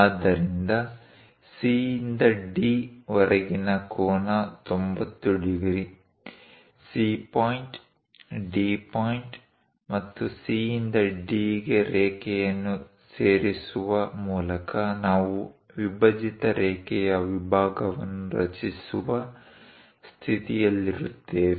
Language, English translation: Kannada, So, the angle from C to D is 90 degrees; by constructing C point, D point, and joining lines C to D, we will be in a position to construct a bisected line segment